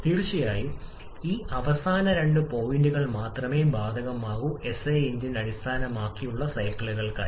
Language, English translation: Malayalam, Of course, these last two points are applicable only for SI engine based cycles